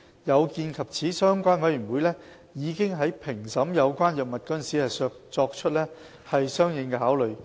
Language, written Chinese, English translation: Cantonese, 有見及此，相關委員會已在評審有關藥物時作出相應考慮。, The relevant committee has already taken these factors into account when evaluating these drugs for listing